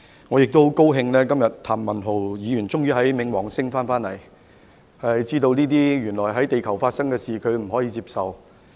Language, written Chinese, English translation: Cantonese, 我也十分高興今天譚文豪議員終於從冥王星回來，知道這些在地球發生的事，原來他不能接受。, I am so pleased that Mr Jeremy TAM has finally returned from Pluto and realized what is happening on Earth which he cannot accept at all